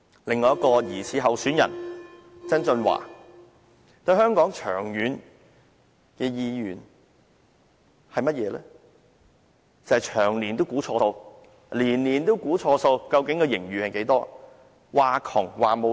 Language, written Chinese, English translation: Cantonese, 另一名疑似候選人曾俊華，對香港無長遠願景，長年估錯數，年年都估錯盈餘，只懂"呻窮"、喊缺錢。, Another probable candidate John TSANG has no long - term vision on Hong Kong . He has been making wrong estimate about Hong Kongs financial situation and Hong Kongs financial surplus . He only knows how to claim to be broke and to cry for no cash